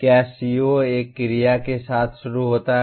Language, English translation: Hindi, Does the CO begin with an action verb